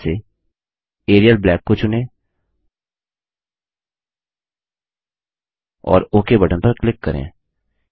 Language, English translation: Hindi, Let us choose Arial Black in the list box and click on the Ok button